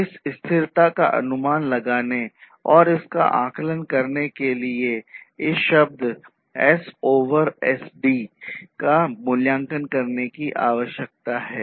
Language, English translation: Hindi, So, in order to estimate this sustainability and assess it, it is required to evaluate this term S over SD, ok